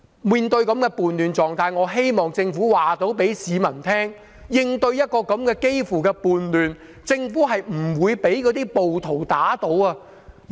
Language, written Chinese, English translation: Cantonese, 面對這種叛亂狀態，我希望政府能夠告訴市民，在應對幾乎屬叛亂的情況時，政府是不會被暴徒打倒的。, In view of this state of rebellion I hope the Government can tell the public that in dealing with a situation which is almost like a rebellion the Government will not be toppled by the rioters